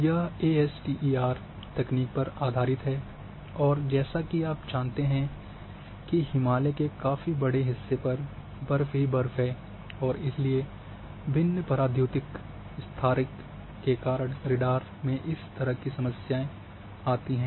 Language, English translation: Hindi, So,this is based on ASTER technique and as you know Himalaya is having large area is under snow and ice and therefore whenever you find this kind of problem in radar because of different dielectric constant